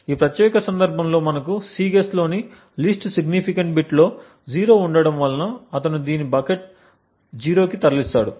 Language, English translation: Telugu, In this particular case we have the least significant bit to be 0 in Cguess and therefore he moves this to the bucket 0